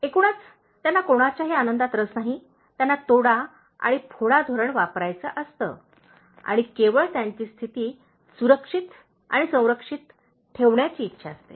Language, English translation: Marathi, On the whole, they are not interested in anybody’s happiness, they would like to use divide and rule policy and keep only their position safe and secure